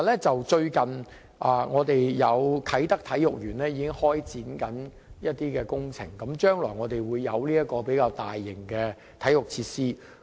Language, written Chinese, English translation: Cantonese, 最近，啟德體育園已開展一些工程，將來我們會有一個比較大型的體育設施。, The Government has recently started some of the Kai Tak Sports Park projects . In the future we will have a larger sports complex